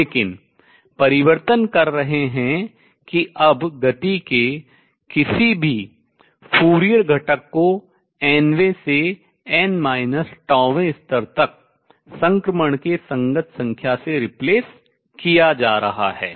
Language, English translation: Hindi, So, we are making a correspondence with classical, but making changes that now any Fourier component of the motion is going to be replaced by a number corresponding to the transition from n th to n minus tau level